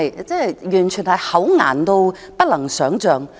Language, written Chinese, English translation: Cantonese, 這是否厚顏得不能想象？, Is this shameless beyond imagination?